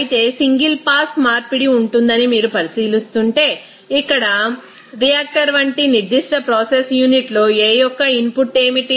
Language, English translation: Telugu, Whereas, if you are considering that there will be a single pass conversion that means here what would be the input of A in a particular process unit like here reactor